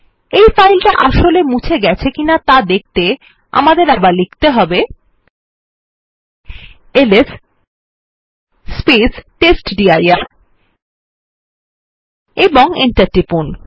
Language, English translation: Bengali, To see that the file has been actually removed or not.Let us again press ls testdir and press enter